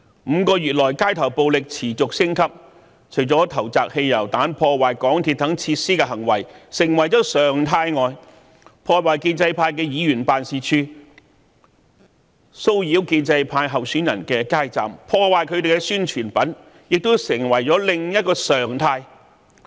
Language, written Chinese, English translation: Cantonese, 5個月以來，街頭暴力持續升級，除了投擲汽油彈、破壞港鐵等設施的行為成為常態外，破壞建制派議員辦事處、騷擾建制派候選人的街站、破壞他們的宣傳品，亦成為另一常態。, In the last five months street violence kept escalating hurling petrol bombs and vandalizing MTR facilities have become norm vandalizing members offices of the pro - establishment camp harassing the street booths set up by candidates from the pro - establishment camp and destroying their publicity materials are also common